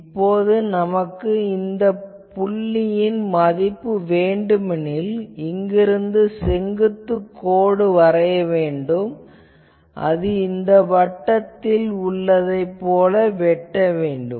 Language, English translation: Tamil, Suppose, I want what is the value of this point, so what I will have to do, from here I will have to put a vertical line that line will intersect some point like this circle